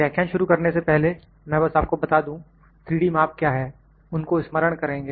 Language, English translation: Hindi, Before the start of the lecture I just tell you what is 3D measurements, will just recall those